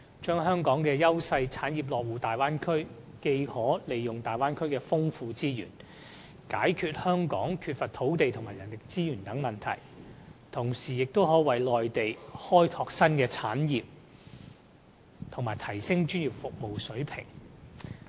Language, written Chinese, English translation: Cantonese, 香港的優勢產業落戶大灣區後，既可利用大灣區的豐富資源解決香港缺乏土地和人力資源等問題，同時，也亦能夠為內地開拓新的產業，以及提升專業服務水平。, After establishing a presence in the Bay Area these industries can draw on the rich resources over there to resolve the land and manpower problems they must otherwise face in Hong Kong . At the same time they can develop new industries for the Mainland and enhance the standards of professional services there